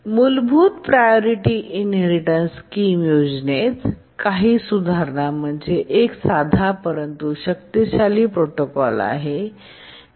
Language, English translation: Marathi, We have seen that the priority inheritance scheme is a simple but powerful protocol